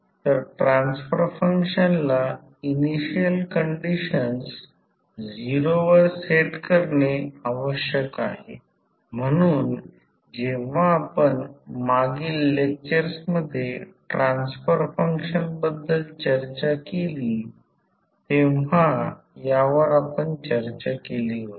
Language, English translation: Marathi, So, by definition the transfer function requires that initial condition to be said to 0, so this is what we have discussed when we discussed the transfer function in the previous lectures